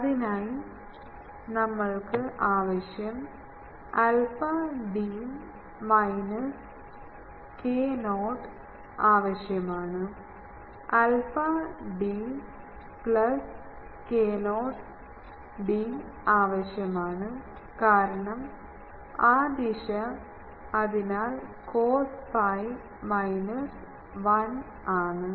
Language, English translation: Malayalam, We require alpha d minus k not we require alpha d plus k not d, because that direction, so cos pi is minus 1